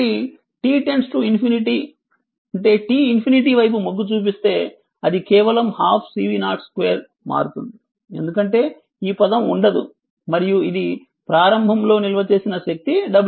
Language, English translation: Telugu, So, if your t tends to infinity, then it is simply becoming half C V 0 square because this term will not be there and is equal to initially stored w C 0 right